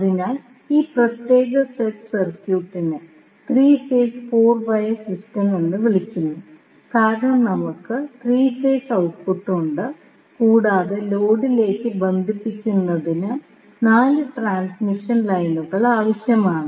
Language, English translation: Malayalam, So, this particular set of circuit is called 3 phase 4 wire system because we have 3 phase output and 4 transmission lines are required to connect to the load